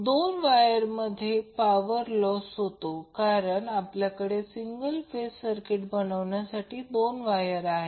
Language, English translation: Marathi, The power loss in two wires because we are having 2 wires to create this single phase circuit